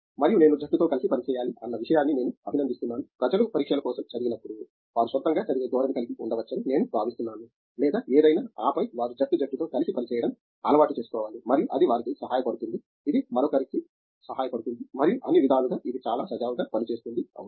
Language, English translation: Telugu, And, I appreciate the point on being a team player because I think especially when people read for exams may be they have a tendency to read on the own or something and then they have to get use to being a team player and it helps them, it helps the other and in all ways it works very smoothly, yes